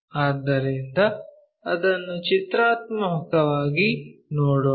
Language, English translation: Kannada, So, let us look at that pictorially